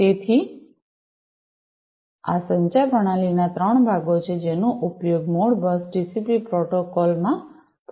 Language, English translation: Gujarati, So, these are the three parts of the communication system, that are used in the Modbus TCP protocol